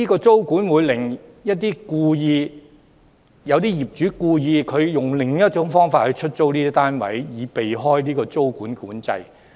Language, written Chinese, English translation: Cantonese, 租管可能令部分業主故意以另一種方式出租單位，以避開租管。, Tenancy control may cause some landlords to deliberately opt for another means to let their flats so as to circumvent tenancy control